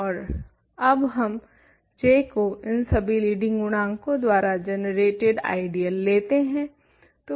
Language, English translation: Hindi, And, define now J to be the ideal generated by all these leading coefficients